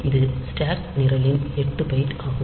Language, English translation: Tamil, So, this is an 8 byte in stack program